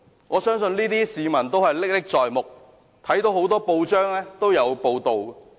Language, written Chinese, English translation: Cantonese, 我相信市民對這些事仍歷歷在目，很多報章均有報道。, I believe members of the public still remember vividly such activities which have been reported in many newspapers